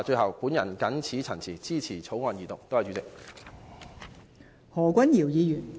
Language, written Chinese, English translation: Cantonese, 我謹此陳辭，支持二讀《條例草案》。, With these remarks I support the Second Reading of the Bill